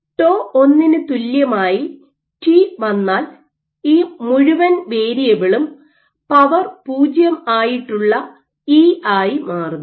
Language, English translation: Malayalam, Let us see at t equal to tau 1, this entire variable becomes e to the power 0